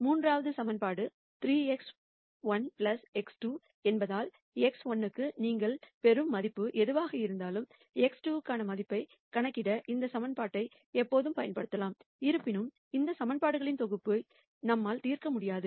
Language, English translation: Tamil, The third equation since it is 3 x 1 plus x 2 irrespective of whatever value you get for x 1 you can always use this equation to calculate the value for x 2; however, we cannot solve this set of equations